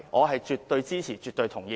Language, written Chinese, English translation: Cantonese, 我絕對支持，絕對同意。, I absolutely support and totally agree with him